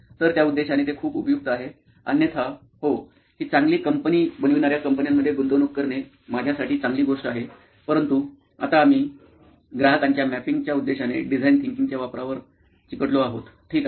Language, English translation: Marathi, So it is pretty useful for that purpose; otherwise, yeah,good thing for me will be to invest in companies which are making this but for now we will stick to the uses of design thinking for this purpose of customer journey mapping, ok